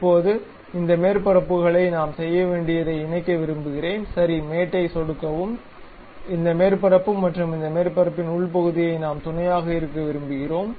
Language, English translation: Tamil, So, now, I would like to really mate these surfaces what we have to do, click ok mate, this surface and internal of this surface we would like to mate